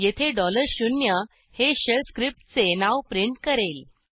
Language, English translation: Marathi, Here, $0 will print the name of the shell script